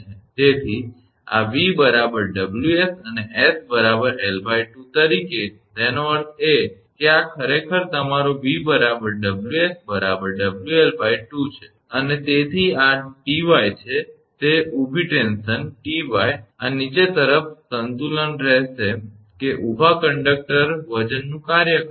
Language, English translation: Gujarati, So, this V is equal to Ws and as s is equal to l by 2; that means, this one actually your W L by 2 because s is equal to l by 2 and therefore, this is Ty that vertical tension Ty will be balance by this downwards that vertical conductor weight is acting